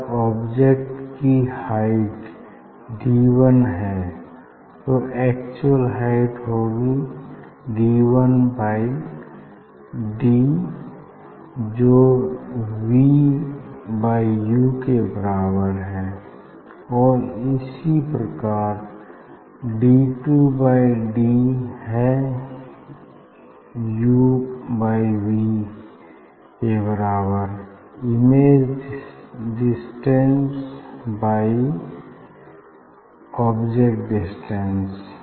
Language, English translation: Hindi, you know magnification; of the object is if this is the height d 1 and actual height is d d 1 by d equal to v by u similarly d 2 by d equal to just it will be just opposite u by v, image distance divided by object distance